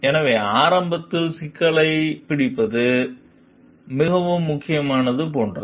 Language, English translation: Tamil, So, it is very like important to catch the problems early